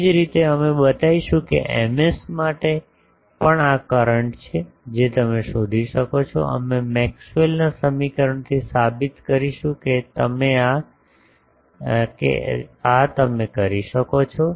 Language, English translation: Gujarati, Similar way we will show that for Ms also this is the current you can find out, we will from Maxwell’s equation we will prove that this you can do